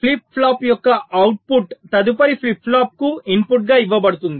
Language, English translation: Telugu, the output of a flip flop is fed to the clock input of the next flip flop